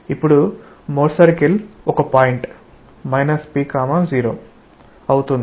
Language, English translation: Telugu, So, the Mohr circle becomes a point say p , 0